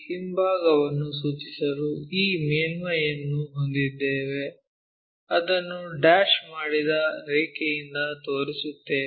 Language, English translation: Kannada, Just to indicate the back side we have this surface, we show it by dashed line